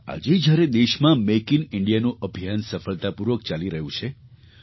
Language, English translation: Gujarati, Today, the campaign of Make in India is progressing successfully in consonance with Dr